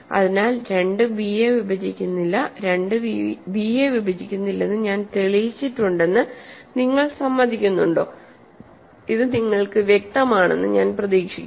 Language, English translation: Malayalam, So, 2 does not divide b so, do you agree that I have proved that 2 does not divide b similarly, 2 does not divide right so, I hope this is clear to you